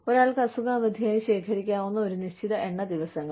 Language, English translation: Malayalam, A certain number of days, that one can collect as sick leave